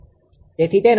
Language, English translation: Gujarati, So, its angle is 0 right